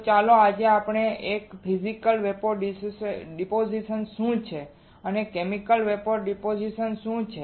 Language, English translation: Gujarati, So, let us see today what are what are the Physical Vapor Depositions and what are the Chemical Vapor Depositions again